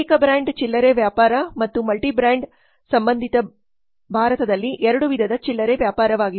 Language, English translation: Kannada, Single brand retailing and multi brand retailing are two types of retailing in India